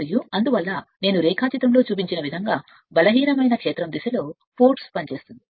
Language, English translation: Telugu, And this and thus the force acts in the direction of the weaker field right whatever I showed in the diagram